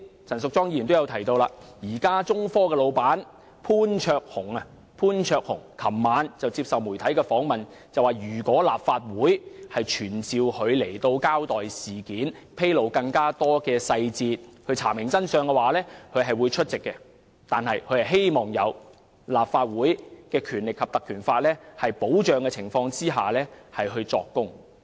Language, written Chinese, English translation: Cantonese, 陳淑莊議員剛才也提到，中科的老闆潘焯鴻昨晚接受媒體訪問時表示，如果立法會傳召他交代事件，披露更多細節以查明真相，他會出席，但他希望在有《立法會條例》保障的情況下作供。, As mentioned by Ms Tanya CHAN just now Jason POON the proprietor of China Technology said in a media interview last night that if the Legislative Council summoned him to account for the incident and disclose more details of it in order to ascertain the truth he would attend before the Council but he hoped that he could testify under the protection of the Ordinance